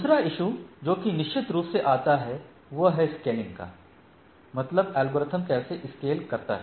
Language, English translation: Hindi, Other issues which are definitely come into play is the scaling issue, like how it scale, how the algorithm scale